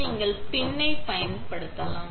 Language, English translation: Tamil, You could also use to pin